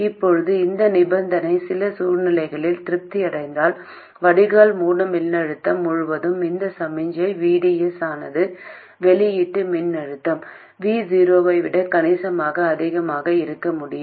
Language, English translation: Tamil, Now if this condition is satisfied under some circumstances it is possible for this signal VDS across the drain source voltage to be substantially more than the output voltage V0